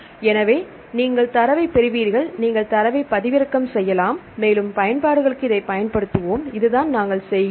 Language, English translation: Tamil, So, you will get the data and you can do download the data and you will use it for the further applications this is what we do